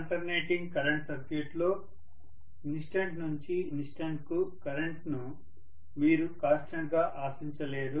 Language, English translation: Telugu, Obviously in an alternating current circuit you cannot expect the current will be constant